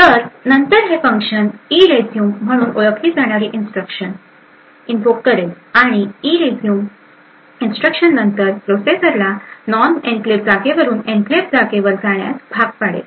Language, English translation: Marathi, So, this function would then invoke something known as the ERESUME instruction and ERESUME instruction would then force the processor to move from the non enclave space to the enclave space